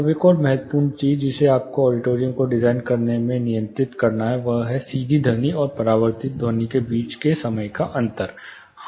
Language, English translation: Hindi, Now an important thing which you have to control in designing an auditorium is the time difference between the direct sound and the reflected sound